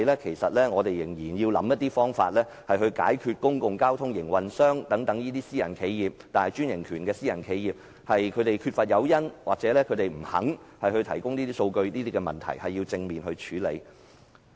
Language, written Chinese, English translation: Cantonese, 其實，政府仍要解決公共交通營運商或擁有專營權的大型私人企業缺乏誘因或不肯提供數據的問題。, In fact the Government still needs to resolve the problem of public transport operators or large franchised private enterprises lacking the incentives or not willing to provide data